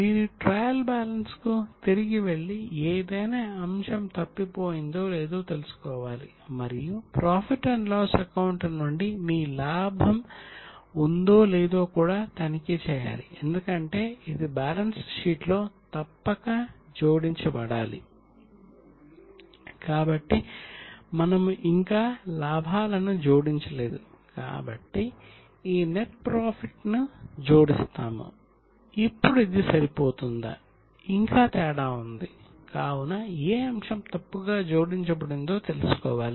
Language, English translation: Telugu, You have to go back to trial balance and find out whether item is missing and also check whether you have carried profit from profit and loss account because it must be added in the balance sheet